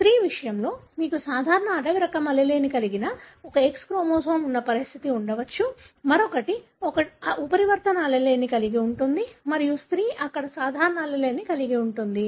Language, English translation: Telugu, In case of female you may have a condition wherein you have one X chromosome which has got normal wild type allele, other one is having a mutant allele and the female may not express the phenotype, because she carries the normal allele there